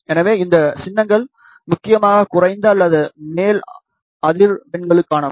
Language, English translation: Tamil, So, these symbols are mainly for the lower or upper frequencies